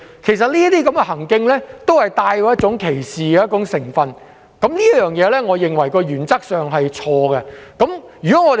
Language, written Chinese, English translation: Cantonese, 其實，這些行徑帶有歧視成分，我認為原則上是錯的。, Actually these acts are discriminatory and they are fundamentally wrong